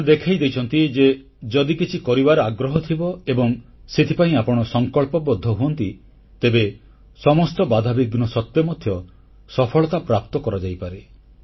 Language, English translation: Odia, They have demonstrated that if you have the desire to do something and if you are determined towards that goal then success can be achieved despite all odds